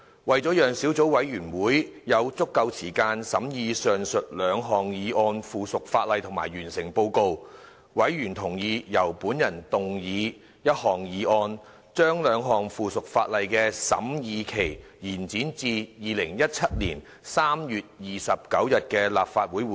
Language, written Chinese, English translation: Cantonese, 為了讓小組委員會有足夠時間審議上述兩項附屬法例及完成報告，委員同意由本人動議一項議案，將兩項附屬法例的審議期延展至2017年3月29日的立法會會議。, To give the Subcommittee sufficient time to deliberate on the two items of subsidiary legislation and complete the report members agreed that I move a motion to extend the scrutiny period of the two items of subsidiary legislation to the Legislative Council meeting on 29 March 2017